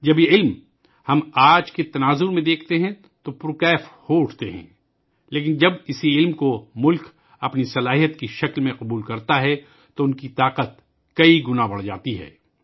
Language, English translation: Urdu, When we see this knowledge in today's context, we are thrilled, but when the nation accepts this knowledge as its strength, then their power increases manifold